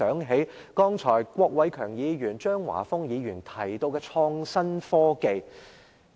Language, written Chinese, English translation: Cantonese, 主席，郭偉强議員、張華峰議員剛才提到創新科技。, President Mr KWOK Wai - keung and Mr Christopher CHEUNG talked about innovative technologies just now